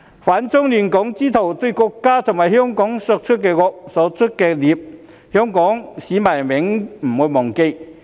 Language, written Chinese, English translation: Cantonese, "反中亂港"之徒對國家和香港所作的惡、所作的孽，香港市民永遠不會忘記。, Hong Kong people will never forget the evil deeds and sins committed against the country and Hong Kong by those with the aim of opposing China and disrupting Hong Kong